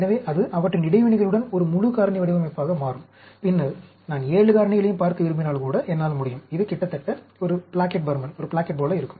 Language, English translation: Tamil, So, that will become a full factorial design, with their interactions, and then, if I want to look at 7 factors also, I can go; it will be almost like a Plackett